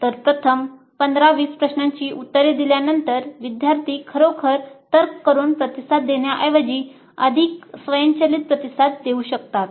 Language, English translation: Marathi, So after answering maybe the first 15, 20 questions students might give responses which are more automatic rather than really reasoned out responses